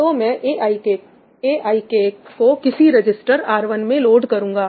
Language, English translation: Hindi, So, I will say load aik into some register R1